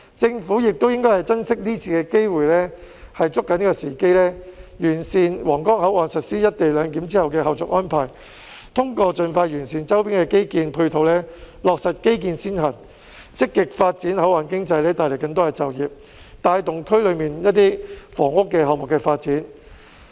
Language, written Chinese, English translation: Cantonese, 政府亦應該珍惜今次機會，抓緊時機，完善皇崗口岸實施"一地兩檢"後的後續安排；通過盡快完善周邊的基建配套，落實基建先行；積極發展口岸經濟，帶來更多就業，帶動區內一些房屋項目的發展。, The Government should also cherish and seize this opportunity to fulfil the follow - up tasks of implementing co - location arrangement at the Huanggang Port put the infrastructure - led approach into practice by expeditiously improving the infrastructure support in surrounding areas and actively develop the port economy to bring about more employment and bring forward some housing developments in the area